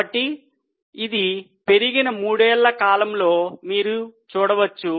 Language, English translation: Telugu, So, you can see over the period of three years it has increased